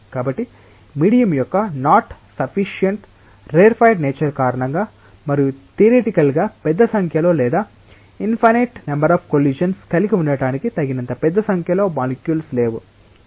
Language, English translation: Telugu, So, that is just because of the rarified nature of the medium that there is not sufficiently large number of molecules to have a theoretically large number of or infinite number of collisions